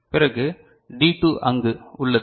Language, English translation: Tamil, So, then say D2 this is there